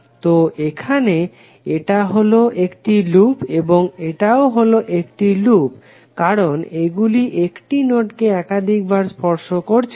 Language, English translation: Bengali, So here, this is a loop and this is also a loop because it is not tracing 1 node 1 node 2 times